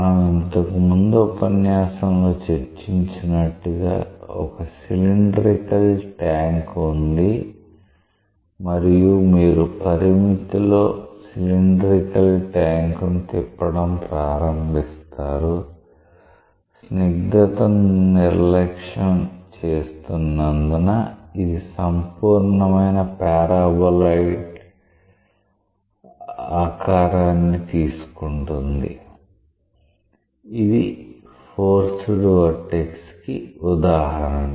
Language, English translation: Telugu, So, it is a an example is like, we have discussed in the class earlier that you have a cylindrical tank and you start rotating the cylindrical tank in the limit as you are neglecting the viscosity, it takes the shape of a paraboloid of revolution type, that is an example of a forced vortex